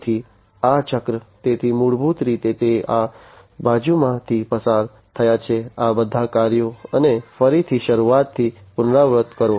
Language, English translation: Gujarati, So, this cycle so basically it goes through this side these all these tasks and again repeat from the start